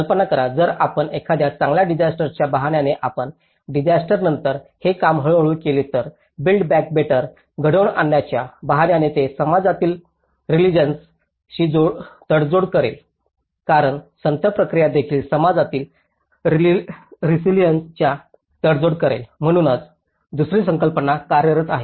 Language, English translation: Marathi, Imagine, if we on the pretext of build back better, if we do it very slowly after a disaster, then on the pretext of build back better then, it will also compromise the community resilience because the slow process also will compromise the community resilience, so that is where the second concept is working